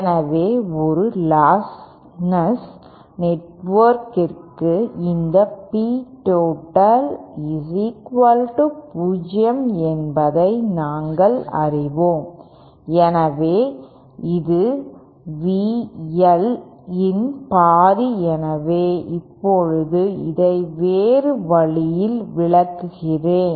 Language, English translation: Tamil, So then we know for a lostless network the real part of this P total is equal to 0 so then this implies that half of V L